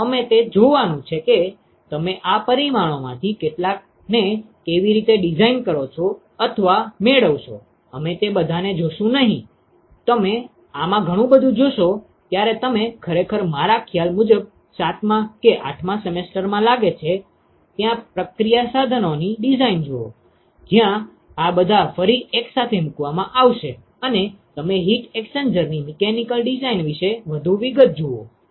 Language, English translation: Gujarati, So, we are going to see how do you design or obtain some of these parameters we will not see all of them, you will see a lot more of these when you actually look at the process equipment design in your I think seventh or eighth semester, where all of these will be once again put together and you look at much more details about the mechanical design of heat exchanger